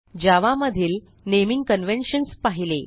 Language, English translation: Marathi, We now see what are the naming conventions in java